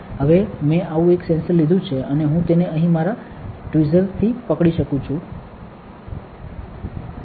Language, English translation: Gujarati, Now, I have taken one such sensor and I am holding it with my tweezer here